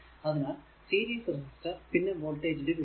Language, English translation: Malayalam, So, series resistors and your voltage division